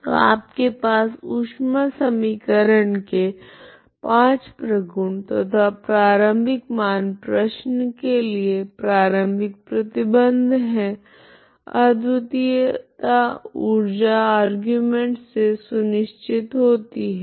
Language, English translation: Hindi, So you have the properties of the solution of the heat equation five properties and the initial value problem with the initial condition you have only uniqueness is guaranteed by this energy argument